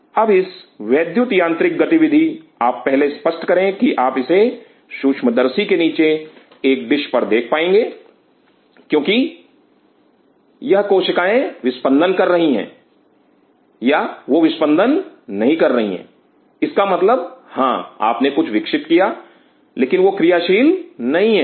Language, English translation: Hindi, Now this electro mechanical activity your first evidence you should be able to see on a dish under microscope, that these cells are beating they are not beating it means yeah you grow something, but they are not functional